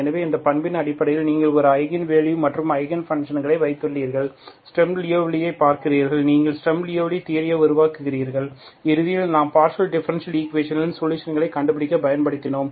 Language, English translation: Tamil, So you have, so based on this property that you have eigenvalues an Eigen functions, you see that the Sturm Louiville, you develop the Sturm Louiville theory which is eventually we used to find the solutions of the partial differential equations, okay